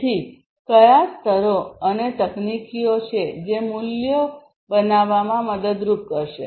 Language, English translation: Gujarati, So, what are the layers and technologies that will help in creating values